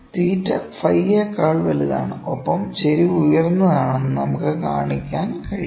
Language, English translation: Malayalam, The theta is greater than phi and I can show that the slope is high